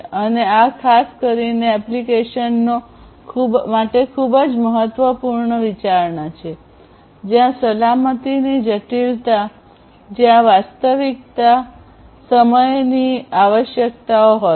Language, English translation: Gujarati, And this is a very important consideration particularly for applications, where safety criticality, where there is real time requirements are there